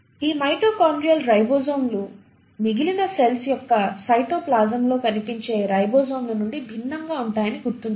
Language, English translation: Telugu, And these mitochondrial ribosomes are, mind you, are different from the ribosomes which will be seen in the cytoplasm of the rest of the cell